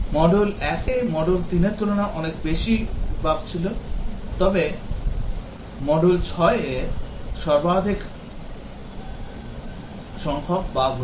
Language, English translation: Bengali, Module 1 had much more bug then module 3, but module 6 had the highest number of bugs